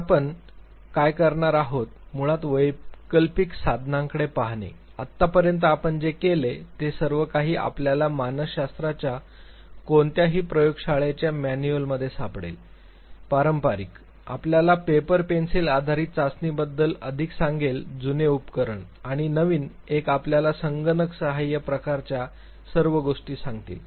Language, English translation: Marathi, Today what we are going to do is to basically look at alternative tools, till now what we have done they are all something that you can find in any lab manual of psychology, the traditional ones will tell you more of the paper pencil based test in the old apparatus and the newer ones will tell you all computer assistant type of things